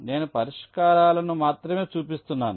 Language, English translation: Telugu, so i am showing the solutions only a